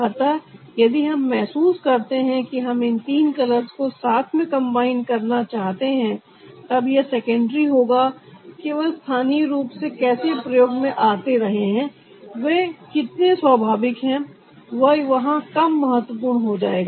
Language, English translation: Hindi, so here, if you feel to combine this three colors together, it is secondary how locally use their, how natural they are, that become less important here